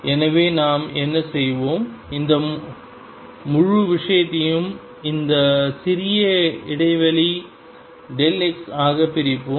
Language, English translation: Tamil, So, what we will do is we will divide this whole thing into small e of interval delta x